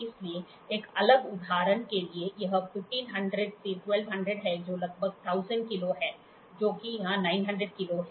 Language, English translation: Hindi, So, for a just a distinct example, so, this is 1500 into 1200 which is around about 1000 kilos, which is here 900 kilos